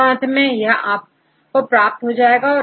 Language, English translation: Hindi, And finally, you can get these things